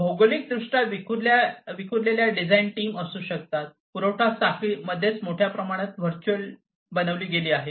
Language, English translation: Marathi, There could be geographically dispersed design teams supply chain itself has been made virtual to a large extent